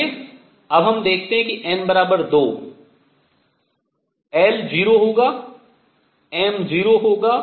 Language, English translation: Hindi, Let us see now n equals 2, l will be 0, m would be 0